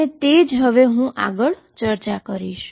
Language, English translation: Gujarati, And that is what I am going discuss next